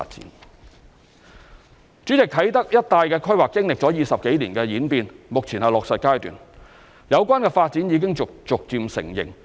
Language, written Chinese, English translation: Cantonese, 代理主席，啟德一帶的規劃經歷了20多年的演變，目前是落實階段，有關發展已逐漸成型。, Deputy President the planning of the Kai Tak area has undergone more than 20 years of evolution and is now at the implementation stage with the relevant development gradually taking shape